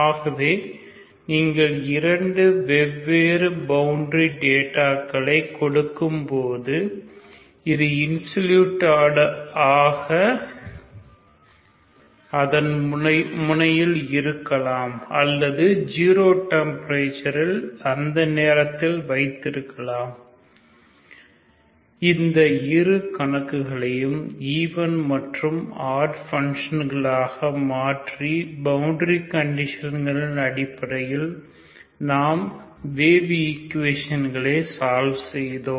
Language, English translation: Tamil, So when you give two different types of boundary data so whether it is insulated at that end or you maintain the temperature 0 temperature at that time, so both the problems are solved by just by extension as extend the functions as even or odd functions depending on the boundary condition as we have done for the wave equation